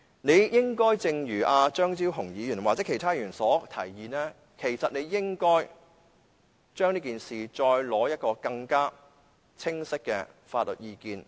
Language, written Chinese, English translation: Cantonese, 你應該聽取張超雄議員或者其他議員的提議，就此事再取得更清晰的法律意見。, You should have adopted Dr Fernando CHEUNGs or other Members proposals to seek anew more unequivocal legal opinions